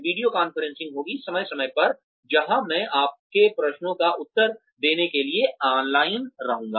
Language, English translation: Hindi, Video conferencing would happen, from time to time, where, I will be online, to answer your queries